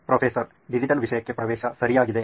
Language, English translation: Kannada, Access to digital content, okay